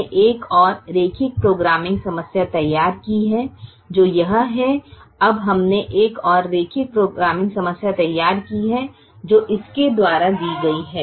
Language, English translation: Hindi, now, for every linear programming problem which is called as primal, there is another linear programming problem which is called the dual